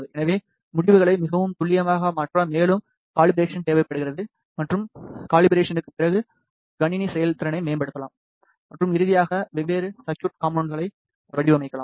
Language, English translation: Tamil, So, for the calibration is required to make the results more accurate and the system performance can be further improved after calibration and finally, design the different circuit components